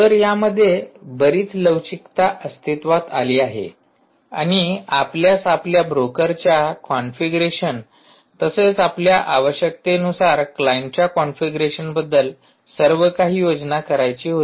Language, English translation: Marathi, so lot of flexibility existed and it you had actually plan everything about your configuration of the broker as well as configuration of the client based on your requirements